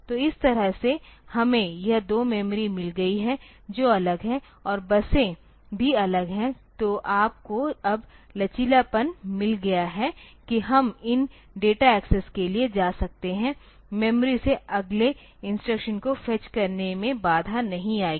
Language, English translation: Hindi, So, this way we have got this the two memory they are separated and the buses are also separate so you have you have got the flexibility now that we can go for this these data access will not hamper the fetching of the next instruction from memory